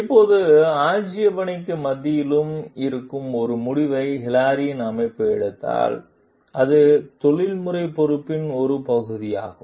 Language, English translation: Tamil, Now, if Hilary s organization takes a decision which is inspite of the objection takes the decision, then it is a part of the professional responsibility